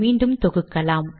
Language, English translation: Tamil, Let us compile it